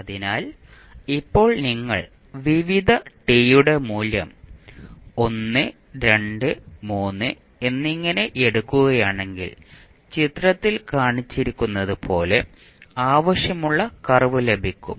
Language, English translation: Malayalam, So, it is now if you keep on putting the value of various t that is time as 1, 2, 3 you will get the curve which would like as shown in the figure